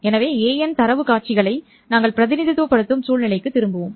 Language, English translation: Tamil, So we'll revert to the situation where we were representing the data sequences A